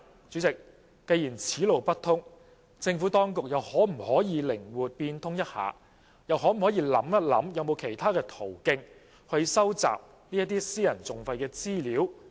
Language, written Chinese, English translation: Cantonese, 主席，既然此路不通，政府當局是否又可以靈活變通一下，想想有沒有其他途徑收集私人訟費的資料？, President as this is not workable can the Administration make flexible changes which are more feasible? . Has the Administration considered other channels to collect information on private litigation costs?